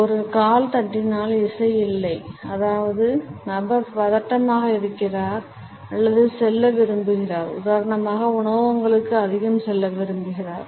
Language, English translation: Tamil, If a foot is tapping and there is no music; that means, the person is nervous or wants to go; go to restaurants much